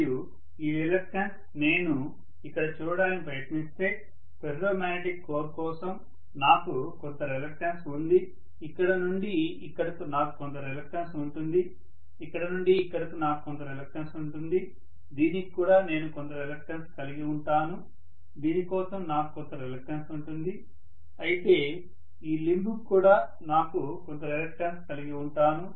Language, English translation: Telugu, And this reluctance if I try to look at it here, I have some reluctance for the ferromagnetic core alone, from here to here I will have some reluctance, from here to here I will have some reluctance, I will also have some reluctance for this, I will have some reluctance for this, of course I am going to have some reluctance for this limb as well